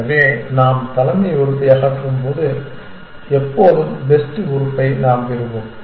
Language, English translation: Tamil, So, that when we remove the head element we always get the best element what do we mean by best